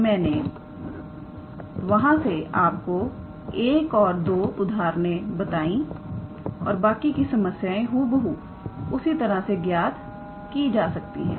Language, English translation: Hindi, So, I did try to show you 1 or 2 examples and the rest of the problems can be solved in the similar fashion